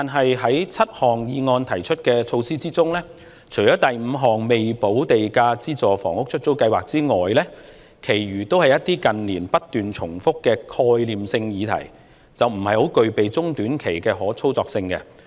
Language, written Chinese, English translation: Cantonese, 然而，在議案提出的7項措施之中，除了第五點有關"未補價資助出售房屋——出租計劃"的措施外，其餘都是一些近年不斷重複的概念性議題，並不具備中短期的可操作性。, However among the seven measures put forward in the motion apart from the measure in point 5 related to the Letting Scheme for Subsidised Sale Developments with Premium Unpaid the others are all conceptual topics that have been raised repeatedly in recent years but they are not operable in the short or medium terms